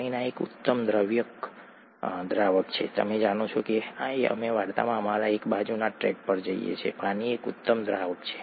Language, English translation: Gujarati, Water happens to be an excellent solvent, you know we are off to one of our side tracks in the story, water is an excellent solvent